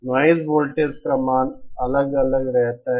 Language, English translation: Hindi, The value of the noise voltage keeps on varying